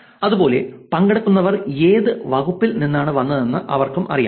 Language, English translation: Malayalam, Similarly, they also had which department the participants came from